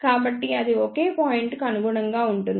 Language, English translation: Telugu, So, that corresponds to the single point